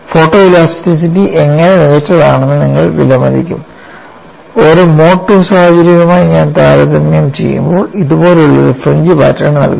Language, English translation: Malayalam, You will appreciate, how photo elasticity is good, only when I take a comparison for a mode 2 situation it gives you a fringe pattern something like this